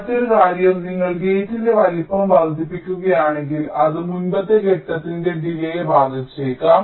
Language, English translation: Malayalam, and another point is that if you increase the size of the gate, it may also affect the delay of the preceding stage